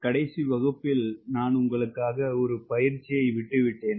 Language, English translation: Tamil, friends, in the last class i left an exercise for you, and what was that